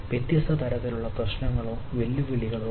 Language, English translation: Malayalam, so there are different type of ah problems or challenges